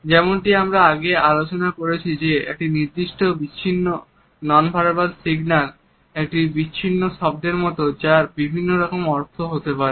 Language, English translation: Bengali, As we have discussed earlier a particular isolated nonverbal signal is like an isolated word which may have different meanings